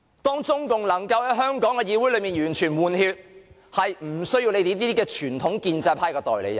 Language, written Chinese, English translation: Cantonese, 當中共能夠令香港的議會完全換血，便不需要你們這些傳統建制派的代理人了。, Once the Communist Party of China succeeds in completely replacing the membership of the Hong Kong legislature you people in the traditional pro - establishment camp will longer be needed as its agents